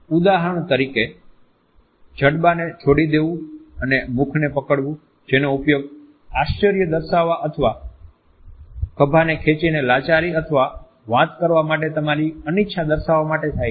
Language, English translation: Gujarati, For example, dropping the jaw and holding the mouth which is used to indicate surprise or shrugging the shoulders to indicate helplessness or your unwillingness to talk